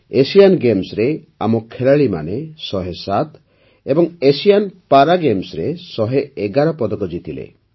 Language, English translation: Odia, Our players won 107 medals in Asian Games and 111 medals in Asian Para Games